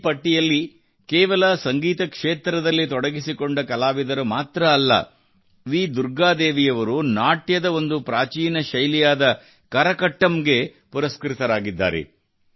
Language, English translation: Kannada, This list doesn't just pertain to music artistes V Durga Devi ji has won this award for 'Karakattam', an ancient dance form